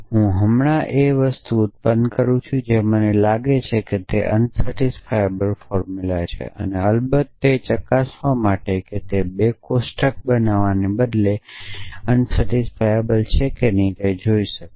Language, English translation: Gujarati, So, I produce now what I think is a unsatisfiable formula and of course, to check whether it is unsatisfiable instead of constructing a 2 table